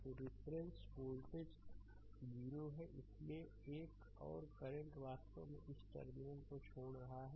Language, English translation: Hindi, So, reference voltage is 0 so, another current actually leaving this terminal